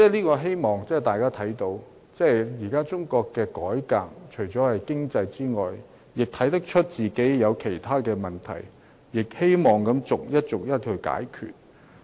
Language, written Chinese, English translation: Cantonese, 我希望大家也看到，中國現時除了改革經濟之外，亦看出自己有其他問題，有待逐一解決。, I hope we can all see that China is also aware of problems in other areas apart from reform and opening - up and that these problems would have to be resolved one by one